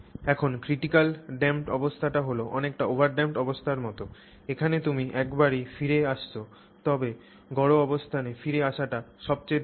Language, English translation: Bengali, Now the critically damp condition is sort of like the over damped condition in which case you are just coming back once but it is the fastest return to that mean position